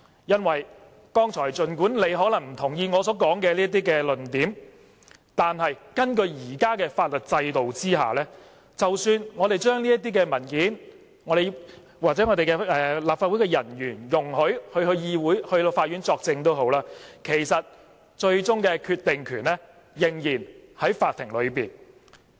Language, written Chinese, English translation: Cantonese, 原因是，儘管有議員可能不同意我剛才所說的論點，但根據現行法律制度，即使我們向法庭提供這些文件，或容許我們立法會人員到法院作證，其實最終的決定權仍然在法庭上。, Some Members may not agree with my remarks earlier yet under the existing legal system the Court has the authority to make final decision even if we produce these documents in evidence or if officers of the Legislative Council are given leave to give evidence